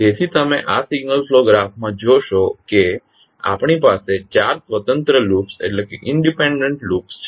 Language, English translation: Gujarati, So you see in this particular signal flow graph we have four independent loops